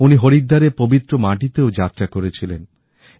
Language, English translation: Bengali, He also travelled to the holy land of Haridwar